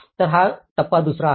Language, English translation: Marathi, So, this is a stage 2